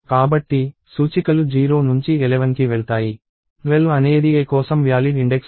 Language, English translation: Telugu, So, indexes go from 0 to 11, 12 is not a valid index for a